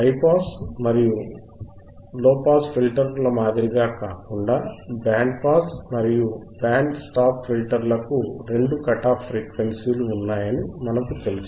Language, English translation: Telugu, We know that unlike high pass and low pass filters, band pass and band stop filters have two cut off frequencies have two cut off frequency right,